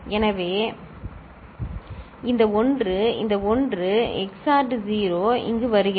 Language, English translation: Tamil, So, this 1, this 1 XORed 0 is coming over here